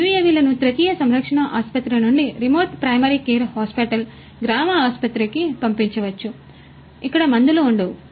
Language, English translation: Telugu, UAVs as per requirement can be flown from a tertiary care hospital, to a remote primary care hospital, a village hospital, where maybe there is no drug